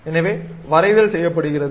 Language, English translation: Tamil, So, drawing is done